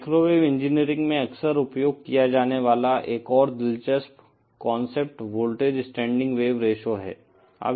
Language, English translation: Hindi, Another interesting concept that is frequently used in microwave engineering is the voltage standing wave ratio